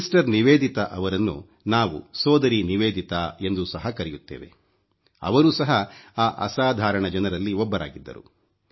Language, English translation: Kannada, Sister Nivedita, whom we also know as Bhagini Nivedita, was one such extraordinary person